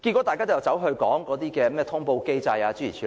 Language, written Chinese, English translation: Cantonese, 大家卻只管討論通報機制，諸如此類。, Yet people tend to focus their discussions on the notification mechanism and so on and so forth